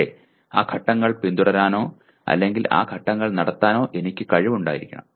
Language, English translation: Malayalam, But I should have the ability to follow the, or perform those steps, sequence of steps